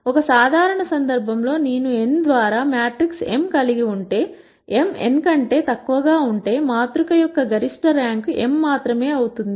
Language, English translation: Telugu, In a general case if I have a matrix m by n, if m is smaller than n, the maximum rank of the matrix can only be m